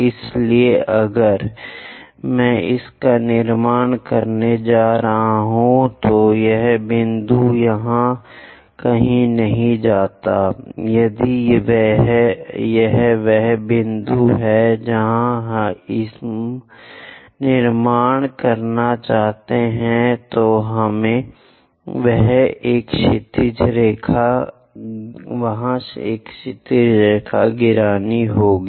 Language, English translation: Hindi, So, if I am going to construct it, that point goes somewhere here; if this is the point where we want to construct, we have to drop a horizontal line there